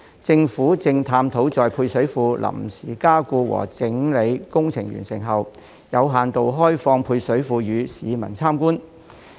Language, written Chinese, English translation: Cantonese, 政府正探討在配水庫臨時加固和整理工程完成後，有限度開放配水庫予市民參觀。, The Government is exploring a restricted opening of the service reservoir for visit by the public upon the completion of the temporary strengthening and tidying up works for the service reservoir